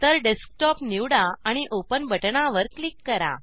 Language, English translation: Marathi, So, select Desktop and click on the Open button